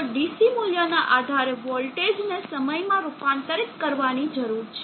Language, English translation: Gujarati, So depending upon the DC value there needs to be a voltage to conversion